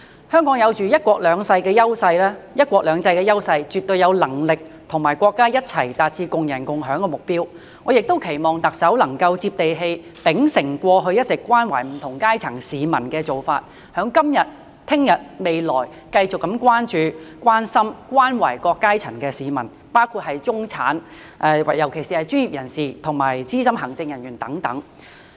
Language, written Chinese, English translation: Cantonese, 香港有"一國兩制"的優勢，絕對有能力與國家一起達致共贏共享的目標，我也期望特首能夠"接地氣"，秉承過去一直關懷不同階層市民的做法，在今日、明日、未來繼續關注、關心、關懷各階層市民，包括中產，尤其是專業人士和資深行政人員等。, With the advantage of one country two systems Hong Kong is definitely capable of working with the country to attain the objective of a win - win situation . I also hope that the Chief Executive will get down to earth and continue to show consideration care and concern for people from all walks of life including the middle class and particularly professionals and senior executives today tomorrow and in the future as she has done so all along